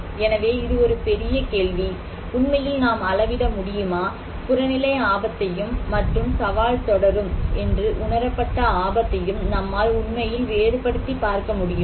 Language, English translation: Tamil, so that is a big question, these questions that whether we can really measure, can we really distinguish between objective risk and perceived risk that challenge will continue